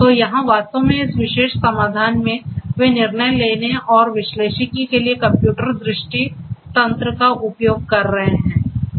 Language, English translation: Hindi, So, here actually this particular solution they are using computer vision mechanisms for the decision making and analytics